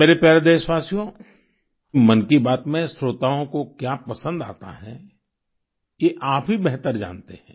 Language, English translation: Hindi, what the listeners of 'Mann Ki Baat' like, only you know better